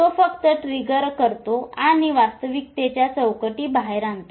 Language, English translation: Marathi, Environment just triggers and brings out those frameworks of realities